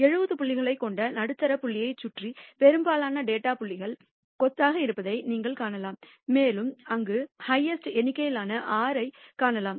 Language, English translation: Tamil, You can see that the most of the data points are clustered around the middle point which is around 70 and you can see highest number 6 there